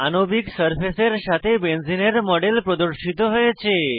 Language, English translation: Bengali, The model of Benzene is displayed with a molecular surface